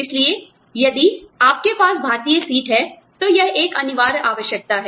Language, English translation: Hindi, So, if you have an Indian seat, you are supposed to